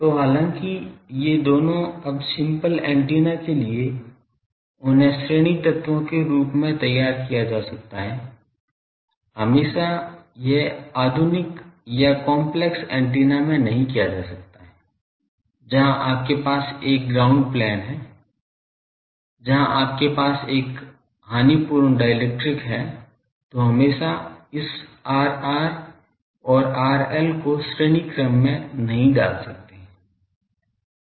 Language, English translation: Hindi, So, though this two now, for simple antennas they can be modelled as series elements, always it cannot be done in modern or complex antennas, where you have a ground plane, where you have a lossy dielectric always this R r and R l cannot be put in series